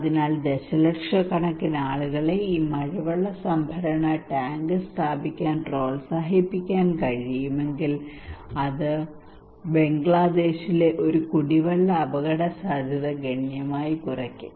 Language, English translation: Malayalam, So if we can able to encourage millions of people to install this rainwater harvesting tank, then it will be significantly reduce the drinking water risk in Bangladesh